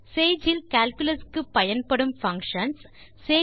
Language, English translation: Tamil, Know the functions used for Calculus in Sage